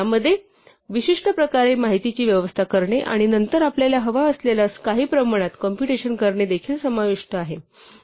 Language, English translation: Marathi, This involves also arranging information in a particular way and then computing some quantity that we desire